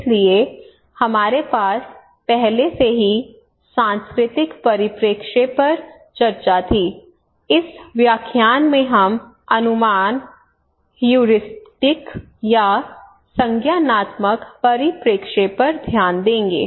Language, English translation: Hindi, So we already had the discussions on cultural perspective here in this lecture we will focus on heuristic or cognitive perspective okay